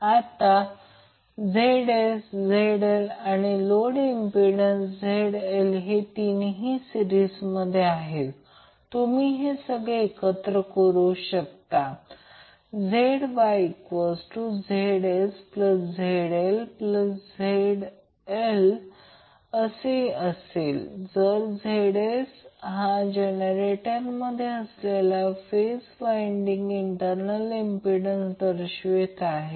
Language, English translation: Marathi, Now since this three are in series ZS and ZL and be load impedance Z capital L you can club all of them as ZY is equal to ZS plus Z small l plus Z capital L were ZS is the internal impedance of the phase winding of the generator